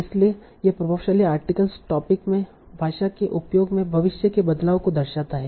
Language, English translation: Hindi, So that is influential articles reflect the future change in the language usage in that topic